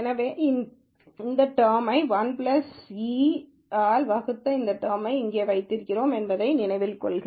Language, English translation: Tamil, So, remember we had this e power this term divided by 1 plus e power this term right here